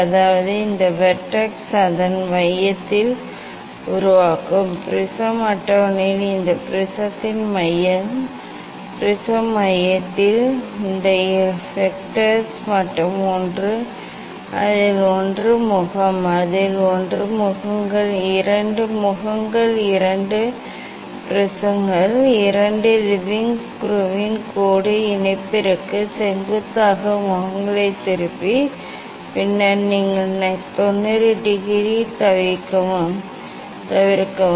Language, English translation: Tamil, means these vertex will make it at the center, these vertex at the center of this prism center of the prism table and with one of it is faces; one of it is faces, these two faces two faces, refracting faces perpendicular to the line joining of the leveling screw of the prism table and then you skip at 90 degree